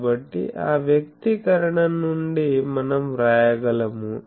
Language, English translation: Telugu, So, we can from that expression we can write